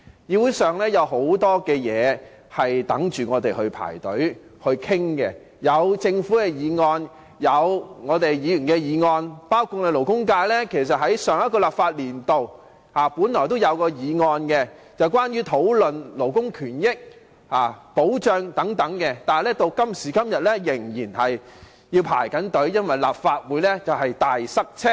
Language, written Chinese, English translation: Cantonese, 議會有很多事情正等待我們討論，包括政府議案、議員議案，而勞工界在上一個立法會度本來也提出了一項有關勞工權益和保障的議案，但至今仍在輪候中，原因是立法會"大塞車"。, There are a lot of issues pending our discussion in this Council including government motions and Members motions and the labour sector also proposed a motion on labour rights and protection in the last legislative session which is still in the queue now because of serious congestion in the Legislative Council